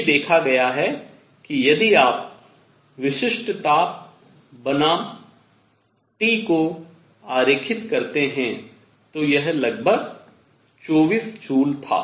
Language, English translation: Hindi, Now this is fine, this is what was observed that if you plot specific heat versus T, it was roughly 24 joules